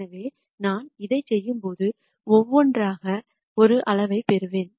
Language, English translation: Tamil, So, when I do this I will get one by one which is a scalar